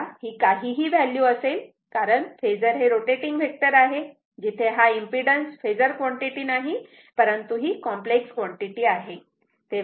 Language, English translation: Marathi, So, it can be any value because phasor is a rotating vector right where jth impedance is not a phasor quantity it is s complex quantity right